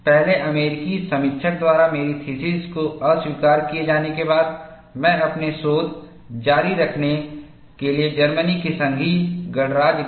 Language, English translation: Hindi, After having my theses initially rejected by the first American reviewer, I went to the Federal Republic of Germany, to continue my research' and the story goes like this